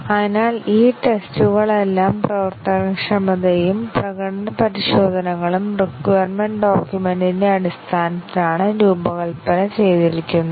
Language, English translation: Malayalam, So all these tests are both functionality and performance tests are designed based on the requirements document